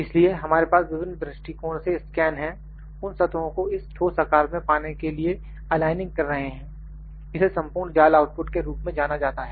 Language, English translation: Hindi, So, we have scan from different views, when we are aligning those surfaces to get this specific shape the solid shape this is known as complete mesh output